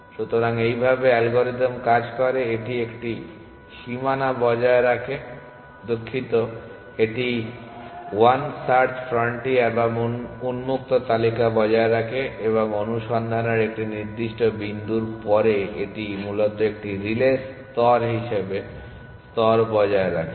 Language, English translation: Bengali, So, this is how algorithm works it maintains one boundary sorry it maintains 1 search frontier or the open list and after a certain point in the search it maintains a layer relay layer essentially